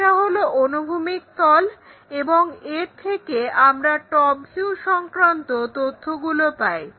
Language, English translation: Bengali, This is horizontal plane, and this gives us top view information